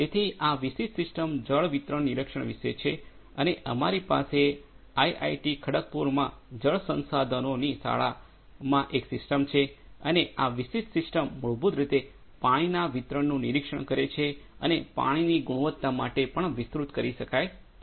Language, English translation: Gujarati, So, this specific system is about water distribution monitoring and so, we have a system in the school of water resources in IIT Kharagpur and this particular system basically has end to end monitoring of water distribution and it would be also extended for water quality monitoring